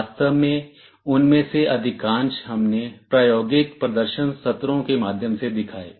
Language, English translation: Hindi, Most of them we actually showed through hands on demonstration sessions subsequently